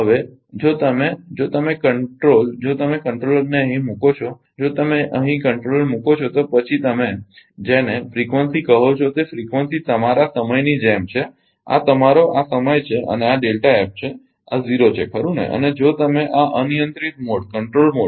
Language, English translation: Gujarati, Now, if you if you control if you put the controller here just ah if you put the controller here then frequency your what you call frequency will be like this this is your time ah this is this is your this is time and this is delta F and this is 0, right and if you this is controlled mode, right